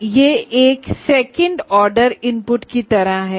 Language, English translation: Hindi, So it is a second order input kind of thing